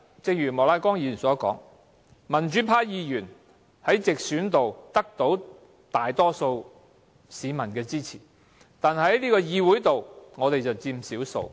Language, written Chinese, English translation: Cantonese, 正如莫乃光議員剛才所說，雖然民主派議員在直選中獲大多數市民支持，在議會內卻佔少數。, As stated by Mr Charles Peter MOK earlier while the pro - democracy Members won the support of the majority public in direct elections they are the minority in the Council